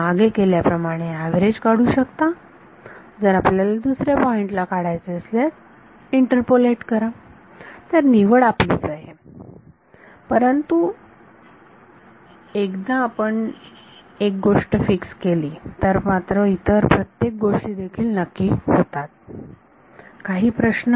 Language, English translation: Marathi, Like earlier take the average if you want it at some other point interpolate so, the choice is up to you, but once you fix one everything else gets fixed question